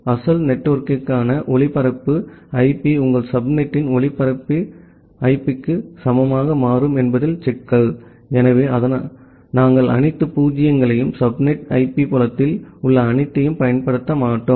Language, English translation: Tamil, The problem becomes that the broadcast IP for the original network becomes equal to the broadcast IP of your subnet, so that is why we do not use the all zero’s and all one’s in a subnet IP field